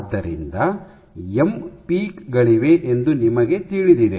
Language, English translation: Kannada, So, you know that there are M peaks